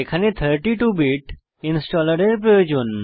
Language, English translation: Bengali, For my machine, I need 32 Bit installer